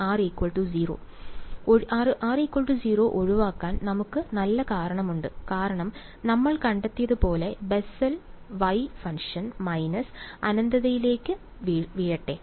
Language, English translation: Malayalam, r is equal to 0 right and we have good reason to avoid r is equal to 0 because as we found out, let the y the Bessel y function it plunges to minus infinity